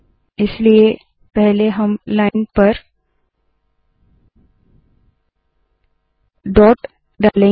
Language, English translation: Hindi, For this, we will first put a dot on the line